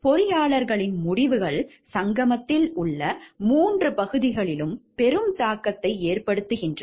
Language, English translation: Tamil, Engineers decisions have a major impact on all the 3 areas in the confluence